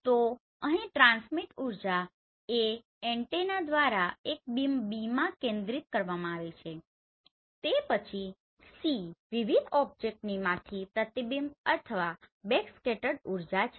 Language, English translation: Gujarati, So here the transmitted energy is A right focused by antenna into a beam that is B and then C is the energy reflected or backscattered from various object right